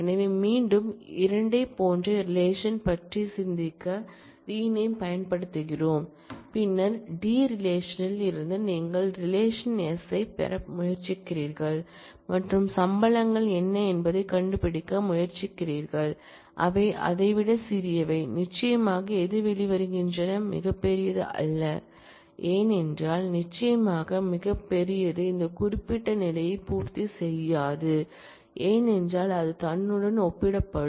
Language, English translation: Tamil, So, again we are using renaming to think of the same relation as 2, and then as if from the relation T you are trying to look at relation S and finding out what are the salaries, which are smaller than that and certainly whatever comes out is the one which is not the largest because, certainly the largest will not satisfy this particular condition, because it will get compared with itself